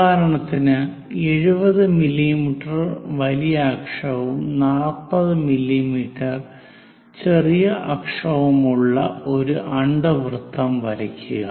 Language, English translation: Malayalam, For example, draw an ellipse with major axis 70 mm and minor axis 40 mm